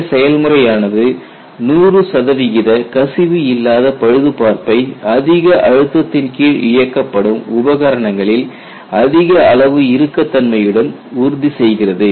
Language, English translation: Tamil, And what you will have to keep in mind is this ensures 100 percent leak free repair with high degree of rigidity in equipments which are operated under higher pressure